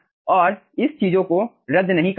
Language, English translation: Hindi, you cannot cancel this things